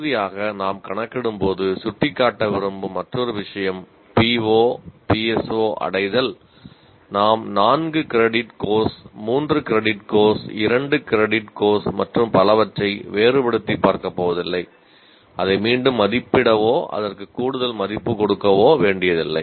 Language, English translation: Tamil, And another thing that we would like to point out, when we calculate finally the PO PS4 attainment, we are not going to differentiate between a four credit course, three credit course, two credit course and so on